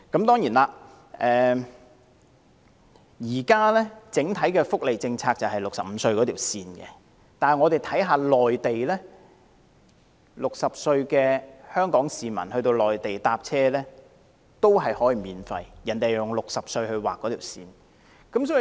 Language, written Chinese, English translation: Cantonese, 當然，現時香港整體福利政策以65歲作為界線，但60歲的香港市民在內地乘車卻可享免費優惠，因為內地以60歲來劃線。, Certainly now Hong Kongs overall welfare policy has set the threshold at 65 years of age but Hongkongers aged 60 can take public transport free of charge on the Mainland because the Mainland has drawn the line at 60